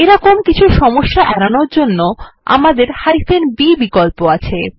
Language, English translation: Bengali, To prevent anything like this to occur, we have the b option